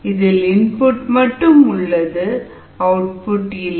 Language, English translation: Tamil, so in this case, there is only input, there is no output